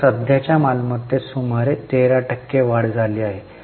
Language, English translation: Marathi, So, around 13% increase in current assets